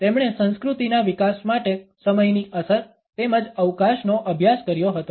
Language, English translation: Gujarati, He studied the impact of time as well as space for the development of civilization